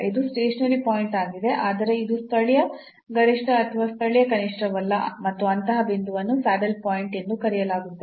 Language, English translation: Kannada, So, this is a stationary point, but this is not a local maximum or local minimum and such a point, such a point will be called as the saddle point